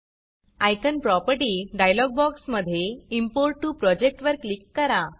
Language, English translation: Marathi, In the Icon Property dialog box, click Import to Project